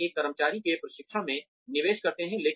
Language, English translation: Hindi, We invest in the training of an employee